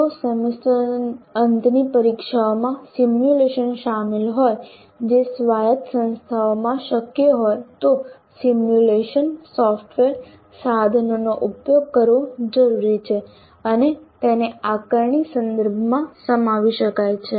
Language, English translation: Gujarati, If simulations are involved in the semester and examination which is possible in autonomous institutions, simulation software tools need to be used and they can be incorporated into the assessment context